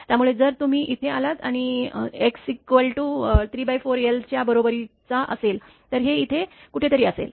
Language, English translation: Marathi, 5 T if you come to here and x is equal to 3 by 4 l it will be somewhere here